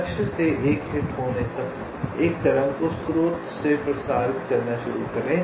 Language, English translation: Hindi, let a wave start propagating from the source till it hits one of the targets